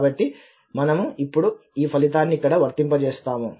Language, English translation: Telugu, So, we will apply this result here now